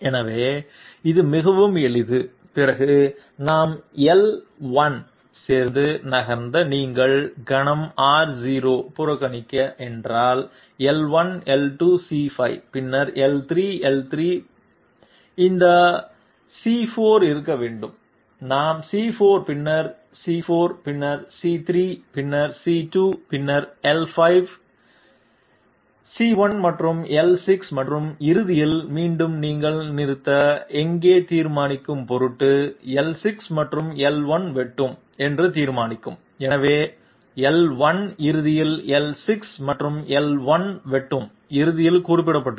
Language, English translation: Tamil, So, after that it is quite simple, we move along L1 if you if you ignore R0 for the moment, L1, L2, C5, okay L1, L2, C5 then L3, L3 is this then it must be C4, we have C4 then L4 then C3 then C2 then L5, C1 and L6 and at the end once again in order to determine where you stopped, the intersection of L6 and L1 will determine that, so L1 is mentioned at the end, L6 and L1 intersection and in the starting point L6 and L1 intersection